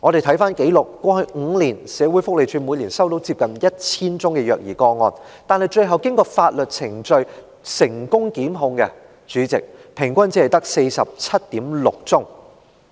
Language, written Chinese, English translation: Cantonese, 翻查紀錄，過去5年，社會福利署每年接獲接近 1,000 宗虐兒個案舉報，但最後經過法律程序成功檢控的個案，主席，平均只有 47.6 宗。, Records show that over the past five years the Social Welfare Department received nearly 1 000 reports of child abuse cases per year . President on average only 47.6 cases ended up with successful prosecution through legal procedures